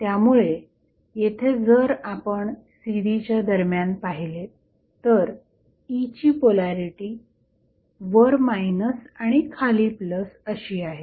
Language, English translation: Marathi, So, that is why if you see here, it between CD the polarity of E is of minus is on the top and plus is on the bottom